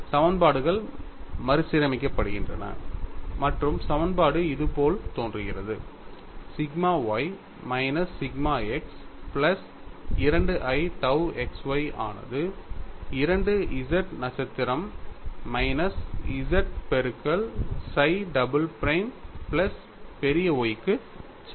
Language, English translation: Tamil, Now, you can replace chi double prime in terms of psi double prime and y the equations are recast and the equation appear like this, sigma y minus sigma x plus 2i tau xy equal to 2 into z star minus z multiplied by psi double prime plus capital Y